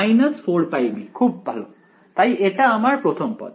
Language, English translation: Bengali, Minus 4 pi b very good so, that was the first term